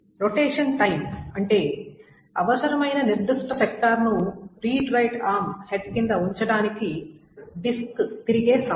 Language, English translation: Telugu, The rotation time for the disk to rotate such that the particular sector that is needed is placed under the head of the redried arm